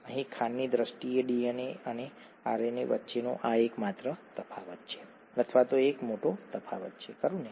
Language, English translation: Gujarati, That’s the only difference between or that’s one of the major differences between DNA and RNA in terms of the sugar here, right